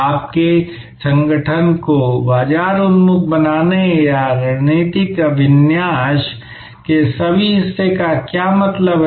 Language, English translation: Hindi, What does it mean to make your organization market oriented or all part of the strategic orientation